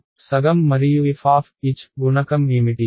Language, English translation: Telugu, Half and what is the coefficient of f h